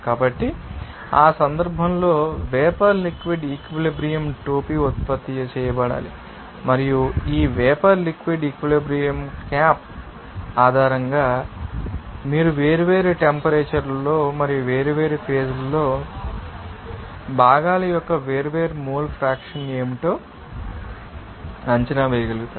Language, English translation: Telugu, So, in that case this you know that vapor liquid equilibrium cap to be generated and also based on this vapor liquid equilibrium cap, you have you will be able to assess what should be the different mole fraction of components in different you know temperature as well as at different stages